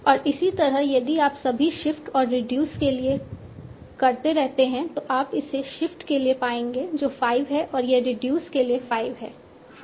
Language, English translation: Hindi, And similarly, if you keep on doing for all shift and reduce you will find this for shift is 5 and this for reduce is 5